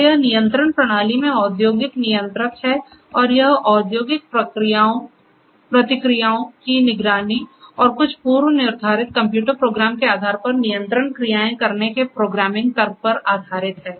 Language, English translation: Hindi, So, it is the industrial controller in control system and this is based on the programming logic of monitoring the monitoring the industrial processes and taking control actions based on certain predefined computer program ok